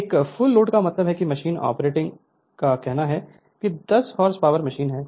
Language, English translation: Hindi, So, a full load means suppose machine operating say 10 h p machine is there